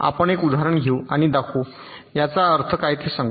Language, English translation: Marathi, lets take an example and show, lets say what this means